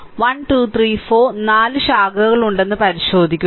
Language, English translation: Malayalam, So, if you look into that 1 2 3 4 four branches are there